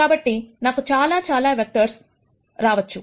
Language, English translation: Telugu, So, I could come up with many many vectors, right